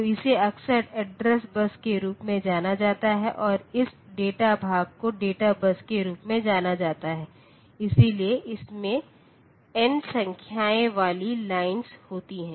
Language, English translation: Hindi, So, this is often known as address bus and this data part is known as the data bus, so this is having n number of lines